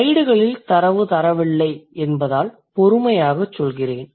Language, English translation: Tamil, So, I'll go slow considering I haven't given you the data on the slides